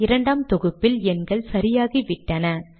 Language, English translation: Tamil, On second compilation the numbers become correct